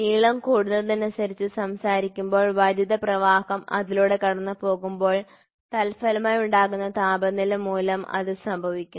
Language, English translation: Malayalam, So, increase in length when you talk about increase in length happens, because of temperature when the current passes through it